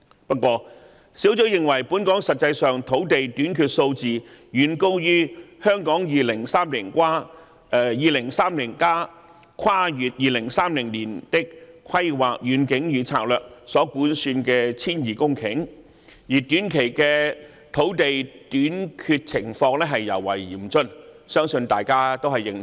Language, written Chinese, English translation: Cantonese, 不過，專責小組認為本港實際土地短缺數字遠高於《香港 2030+： 跨越2030年的規劃遠景與策略》所估算的 1,200 公頃，而短期的土地短缺情況尤為嚴峻，相信大家均認同。, Nevertheless I believe we all agree with the view of the Task Force that the actual land shortage in Hong Kong is far more than 1 200 hectares as estimated in Hong Kong 2030 Towards a Planning Vision and Strategy Transcending 2030 and the situation of land shortage in the short term is particularly dire